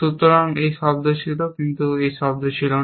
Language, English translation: Bengali, So, this was sound, but this was not sound